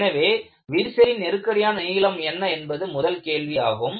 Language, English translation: Tamil, So, the first question is, "what is a critical length of a crack